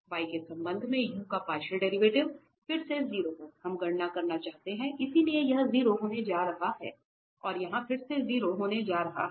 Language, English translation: Hindi, The partial derivative of u with respect to y, again at 0 we want to compute, so this is going to be 0 and this is again going to be 0